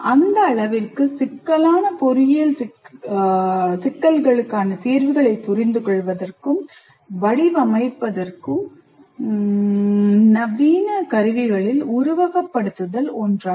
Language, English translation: Tamil, Now, to that extent, simulation constitutes one of the modern tools to understand and design solutions to complex engineering problems